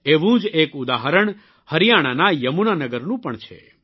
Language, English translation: Gujarati, There is a similar example too from Yamuna Nagar, Haryana